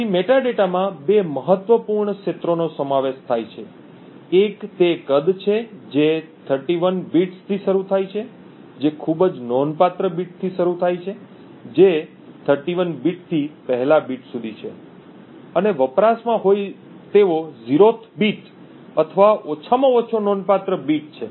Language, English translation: Gujarati, So the metadata comprises of two important fields, one is the size which is of 31 bits starting from the most significant bit which is the 31st bit to the first bit and the in use bit which is of which is the 0th or the least significant bit